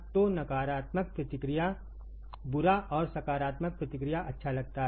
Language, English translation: Hindi, So, negative feedback seems to be bad and positive feedback good right